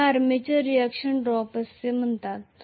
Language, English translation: Marathi, This is called as armature reaction drop